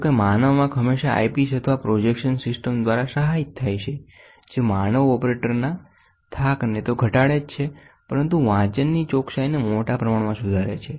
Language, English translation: Gujarati, However, the human eye is invariably aided by an eyepiece or a projection system; which not only reduces the fatigue of the human operator, but also improves the reading accuracy to a large extent